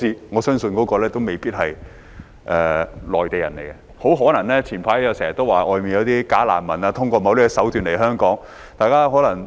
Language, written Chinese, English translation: Cantonese, 我相信那些人未必是內地人，很可能像早前經常有人說的，外面有些假難民透過某些手段來港。, I do not believe that those people are necessarily Mainlanders . Most probably as mentioned by many before some bogus refugees from abroad have come to Hong Kong by certain means